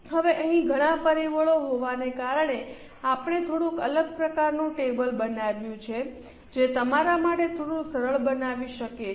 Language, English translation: Gujarati, Now here since are many factors, we have made slightly a different type of table which might make it slightly easy for you